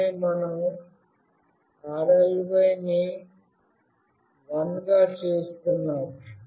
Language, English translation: Telugu, And then we are making “rly” as 1